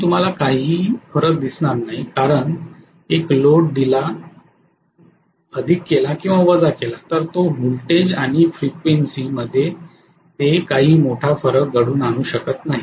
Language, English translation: Marathi, So you would hardly see any variation that is coming up just because may be one load is added or one load is subtracted that is not going to make a big difference in terms of the voltage and frequency